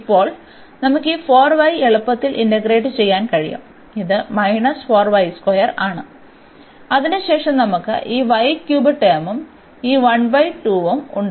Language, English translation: Malayalam, So, now, we can easily integrate this 4 y and this is minus 4 y square and then we have this y cube term and with this half